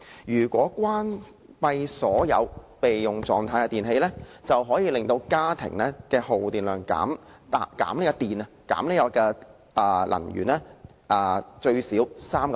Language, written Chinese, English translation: Cantonese, 如果關閉所有處於備用狀態的電器，便可以令家庭的耗電量最少減 3%。, If we turn off all electrical appliances which are in standby mode we can save at least 3 % electricity in our homes